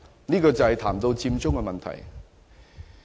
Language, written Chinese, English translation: Cantonese, 這裏談到的是"佔中"問題。, Here I am referring to the Occupy Central issue